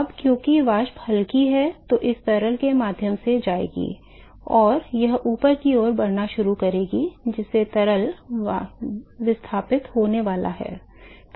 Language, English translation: Hindi, Now because the vapor is lighter, they are going to travel through this liquid, and they will start moving towards the upward side and the liquid is going to be displaced